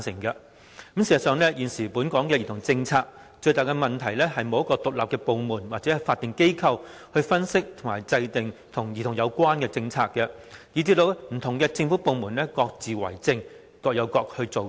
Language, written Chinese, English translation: Cantonese, 事實上，現時本港兒童政策最大的問題，是沒有一個獨立部門或法定機構負責分析及制訂與兒童有關的政策，以致不同政府部門各自為政，各有各做。, In fact the biggest problem with the existing policy on children in Hong Kong lies in the fact that there is no independent department or statutory agency responsible for analysing and formulating policies on children . As a result various government departments all do things in their own ways and work on their own